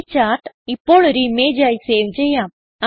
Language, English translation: Malayalam, Let us now save this chart as an image